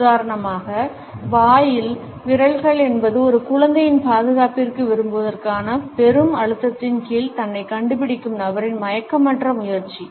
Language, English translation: Tamil, For example, fingers in mouth is an unconscious attempt by the person, who is finding himself under tremendous pressure to revert to the security of a childhood